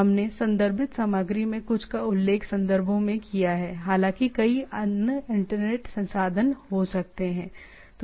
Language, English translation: Hindi, We have referred some of the references we I have mentioned and though it is there can be other several internet resources